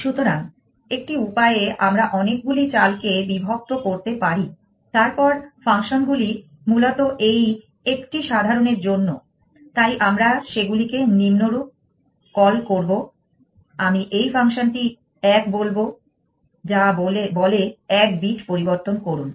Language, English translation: Bengali, So, one way we can divides several move then functions essentially for this one simple, so we will call them as follows I will call this function one, which says change one bit